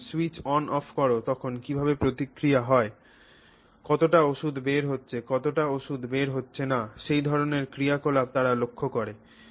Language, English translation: Bengali, They look at how the responses in terms of when you switch on, switch off, how much drug is coming out, how much drug is not coming out, that kind of activity